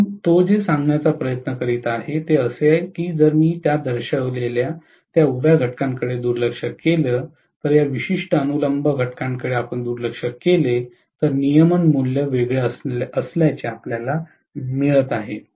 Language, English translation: Marathi, So, what he is trying to say is if we neglect that vertical component whatever I have shown, this particular vertical component if we neglect then we are getting the regulation value to be different